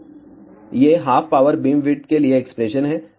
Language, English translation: Hindi, So, these are the expressions for half power beamwidth